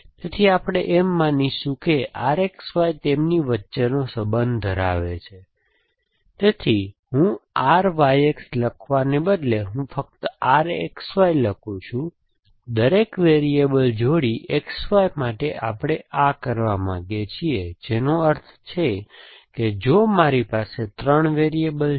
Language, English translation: Gujarati, So, we will assume that R X Y contains the relation between them, so I instead of writing R Y X, I am just writing R X Y, for each pair X Y of variable we want do this which means if I have 3 variables